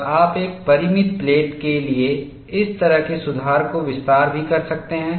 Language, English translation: Hindi, And you can also extend this kind of a correction for a finite plate